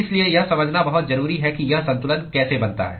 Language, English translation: Hindi, So this is very important to understand how this balance comes about